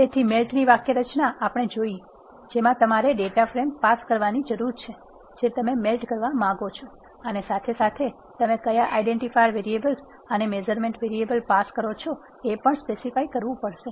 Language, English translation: Gujarati, So, the syntax we have seen, melt you need to pass the data frame which you want to melt and you have to also specify, what are the identifier variables in the data frame your pass, what are the measurement variables that you are passing